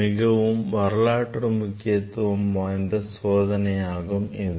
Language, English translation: Tamil, This is historically an important experiment